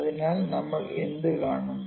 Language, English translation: Malayalam, So, what we will see